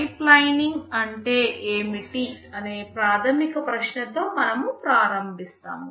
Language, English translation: Telugu, We start with the basic question what is pipelining